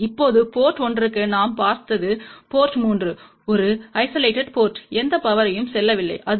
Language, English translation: Tamil, Now for port 1 we had seen port 3 is a isolated port, there is a no power going to this